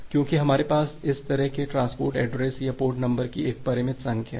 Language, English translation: Hindi, Because we have a finite number of this kind of transport addresses or port number because we have this finite number of ports